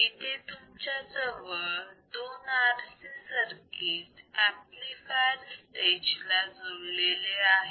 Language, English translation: Marathi, So, you have two RC circuit connected to the amplifier stage